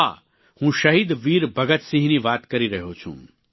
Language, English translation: Gujarati, I am speaking about Shahid Veer Bhagat Singh